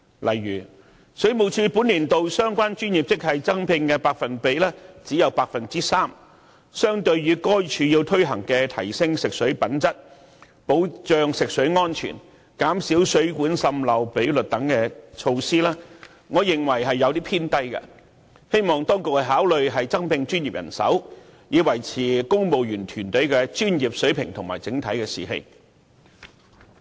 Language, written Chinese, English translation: Cantonese, 例如，水務署本年度相關專業職系增聘的百分比只有 3%， 相對該署要推行的提升食水品質、保障食水安全及減少水管滲漏比率等措施，我認為有些偏低，希望當局可以考慮增聘專業人手，以維持公務員團隊的專業水平和整體士氣。, For instance the Water Supplies Department has to carry out such measures as enhancing the quality of potable water ensuring the safety of potable water reducing the leakage rate of water mains . But there is only a 3 % manpower increase among the relevant professional grades within the Department in this financial year . The percentage is on the low side when compared with the measures to be carried out